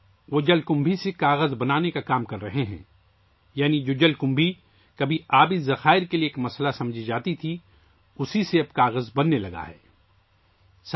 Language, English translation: Urdu, They are working on making paper from water hyacinth, that is, water hyacinth, which was once considered a problem for water sources, is now being used to make paper